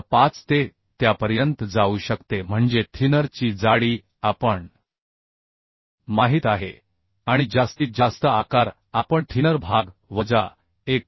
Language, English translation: Marathi, 5mm it can go up to that that means the thickness of the thinner part we know and the maximum size we can become that thickness of the thinner part minus 1